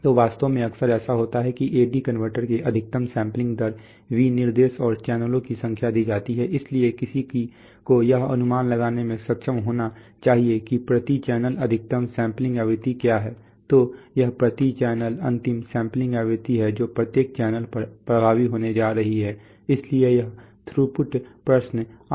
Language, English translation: Hindi, So actually the often times it happens that the sampling, maximum sampling rate specifications of the A/D converter are given and the number of channels are given, so one has to be able to infer what is the maximum sampling frequency per channel, so that is the final sampling frequency per channel that is going to be effective on the each channels, so that is why this throughput question comes